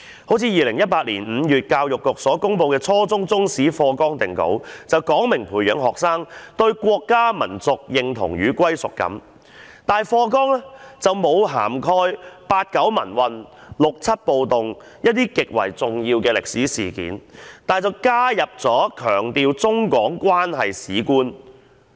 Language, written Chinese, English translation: Cantonese, 例如2018年5月教育局所公布的初中中國歷史科課程大綱定稿，旨在培養學生對國家民族認同與歸屬感，可是課程大綱並未涵蓋八九民運、六七暴動等一些極為重要的歷史事件，但卻加入了強調中港關係的歷史觀。, Take for instance the finalized draft of the curriculum framework of the Chinese History Subject published by the Education Bureau in May 2018 which aims to foster students sense of national identity and sense of belonging . Nevertheless the syllabus has failed to cover some of the most important historical events such as the Democratic Movement in China in 1989 the 1967 riots in Hong Kong etc . On the contrary a historical view that emphasizes China - Hong Kong relations has been incorporated into the said framework